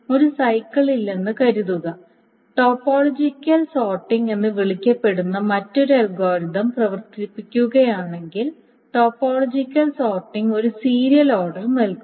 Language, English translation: Malayalam, So assuming there is no cycle, if one runs another algorithm which is called a topological sorting, the topological sorting will essentially give a serial order, so topological sorting will actually produce a serial order of the transaction